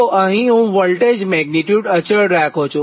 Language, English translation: Gujarati, so this voltage magnitude constant